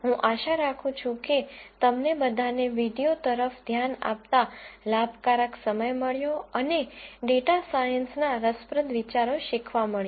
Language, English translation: Gujarati, I hope all of you had a productive time looking through the videos and learning interesting ideas in data science